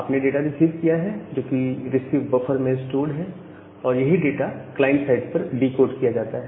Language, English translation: Hindi, So, you have received the data, which is stored in the received buffer same data is decode back to the to the client side